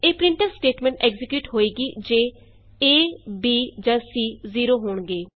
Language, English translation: Punjabi, This printf statement is executed if either of a, b or c is 0